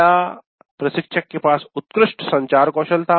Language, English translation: Hindi, The instructor had excellent communication skills